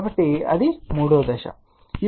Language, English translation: Telugu, So, that is a step number 3